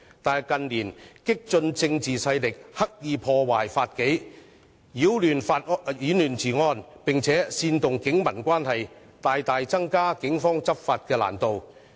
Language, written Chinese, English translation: Cantonese, 可是，近年激進政治勢力刻意破壞法紀，擾亂治安，並煽動警民關係，大大增加警方執法的難度。, However in recent years radical political powers deliberately break the rule of law upset public order and incite disharmony between the Police and the general public to make it much more difficult for the Police to enforce the law